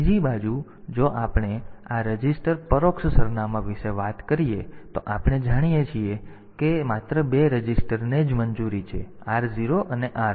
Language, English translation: Gujarati, On the other end we if we have talking about this register indirect addressing then we know that only two registers are allowed like r0 and r1 ok